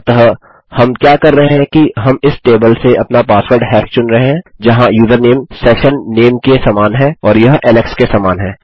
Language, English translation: Hindi, So, what we are doing is we are selecting our password hash from this table where the username is equal to the session name, and that is equal to Alex